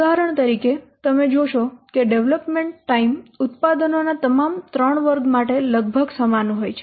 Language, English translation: Gujarati, For example, you see the development time is roughly the same for all the three categories of products I have already told you